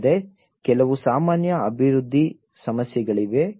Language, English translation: Kannada, Also, there are some general development issues